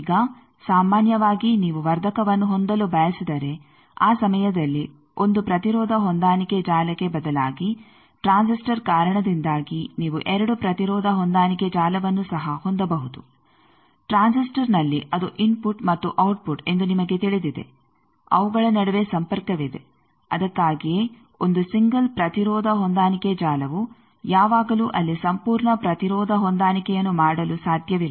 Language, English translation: Kannada, Now, generally if you want to have amplifier that time instead of 1 impedance matching network, you can also have 2 impedance matching network because of a transistor that in transistor, you know that it is a input and output there is a linkage between them that is why 1 single impedance matching network cannot always make the whole impedance matching there